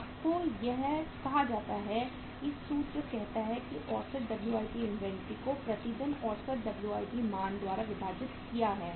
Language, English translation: Hindi, You are given the say the formula says that is the average WIP inventory we have divided by the average WIP value committed per day